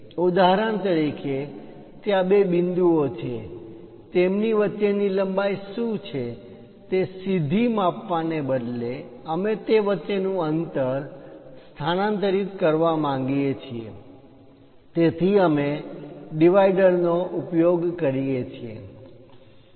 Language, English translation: Gujarati, For example, there are two points; instead of directly measuring what is that length, we would like to transfer the distance between that, so we use divider